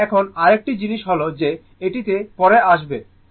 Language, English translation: Bengali, So now, another thing is that ah we will come to that later